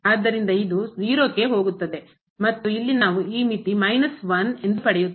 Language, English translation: Kannada, So, this goes to 0 and we get this limit as here minus 1